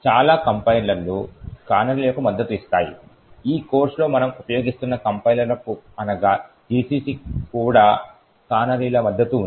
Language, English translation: Telugu, Most of the compilers support canaries, the compilers that we are using in this course that is GCC also, has support for canaries